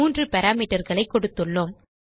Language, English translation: Tamil, So we have given three parameters